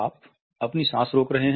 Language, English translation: Hindi, You are holding your breath